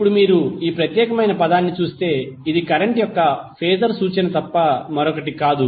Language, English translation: Telugu, Now, if you see this particular term this is nothing but the phasor representation of current